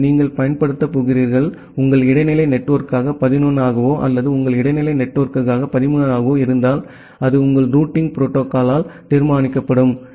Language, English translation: Tamil, So, whether you are going to use, as 11 as your intermediate network or as 13 as your intermediate network, that will be decided by your routing protocol